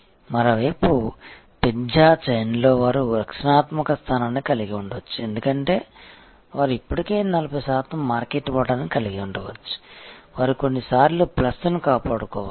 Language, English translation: Telugu, On the other hand in the pizza chain they may have to hold they have defensive position, because they may already have a 40 percent market share, which they have to protect plus some times